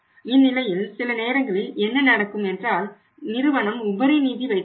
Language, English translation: Tamil, So in that case sometimes what happens that say the firm has got surplus funds